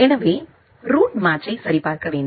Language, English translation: Tamil, So, the route match need to be verified